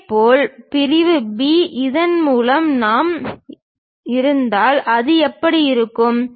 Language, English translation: Tamil, Similarly, section B if we are having it through this, how it looks like